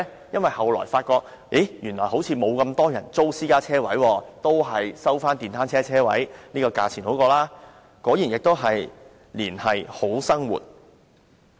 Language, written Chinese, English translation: Cantonese, 因為後來發現原來沒有那麼多人需要租用私家車車位，還是收取電單車車位的租金較好，果然亦是"連繫好生活"。, Because it was later found that there were not as many people as expected who needed to rent parking spaces for private vechicles and so it would be better to rent the parking spaces to motorcycles and collect rental from them . What a way to link people to a brighter future